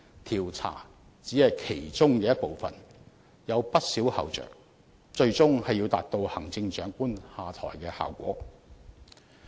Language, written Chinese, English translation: Cantonese, 調查只是其中一部分，除此還有有不少後着，最終是要達到行政長官下台的效果。, Investigation is just a part of the procedure; other actions have to be taken leading to the final step of the stepping down of the Chief Executive